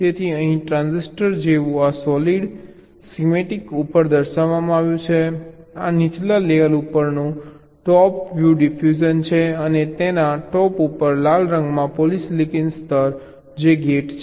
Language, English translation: Gujarati, so the transistor, like here is represented on the schematic like this: the solid, this is the top view diffusion on the lower layer and top of which the polysilicon layer in red which is the gate